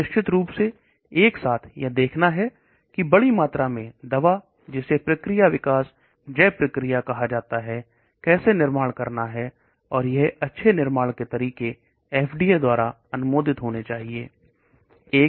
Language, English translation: Hindi, So of course simultaneously one has to see how to manufacture the drug in large quantities that is called process development bio process, and it should have the good manufacturing practices approved by FDA and so on